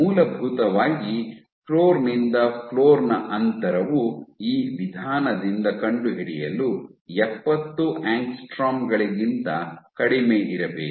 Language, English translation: Kannada, Essentially you are floor to floor distance has to be less than 70 angstroms to be detected by this method